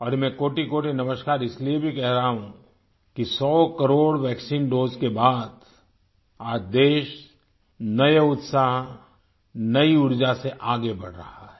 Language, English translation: Hindi, And I am saying 'kotikoti namaskar' also since after crossing the 100 crore vaccine doses, the country is surging ahead with a new zeal; renewed energy